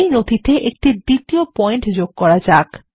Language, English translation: Bengali, In the document, let us insert a second point